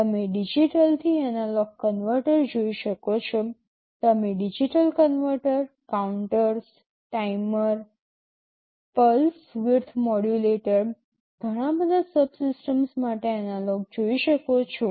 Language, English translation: Gujarati, You can see a digital to analog converter, you can see analog to digital converter, counters, timers, pulse width modulator, so many subsystems